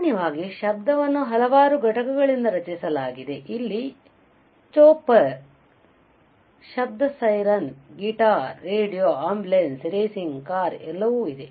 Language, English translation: Kannada, Now, in general the noise is also created by the several components, you see here chopper, noise of a car, siren right, guitar, radio, ambulance, racing car, and what not and what not right